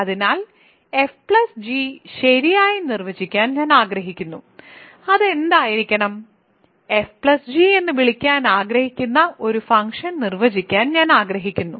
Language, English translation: Malayalam, So, I want to define f plus g right and I need it to be in R, I want to define a function which I want to call the sum of f plus and f and g